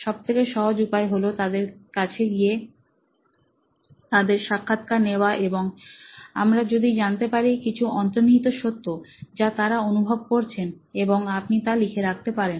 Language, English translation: Bengali, Easiest way is to go and interview them and see if you can find out, unearth some truths about what is their experience like and you can note that down